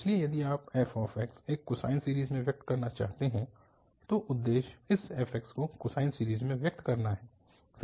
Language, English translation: Hindi, So, if you want to express f x in a sine series, the objective is to express this f x in cosine series